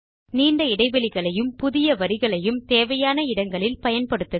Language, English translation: Tamil, Add long gaps and newlines wherever necessary